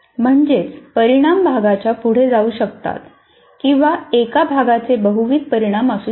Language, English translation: Marathi, That means, my outcome may go across the units or one unit may have multiple outcomes and so on